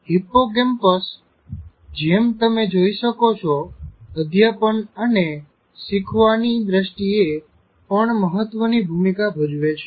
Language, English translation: Gujarati, So hippocampus, as you can see, plays also an important role in terms of teaching and learning